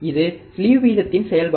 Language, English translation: Tamil, That is the function of slew rate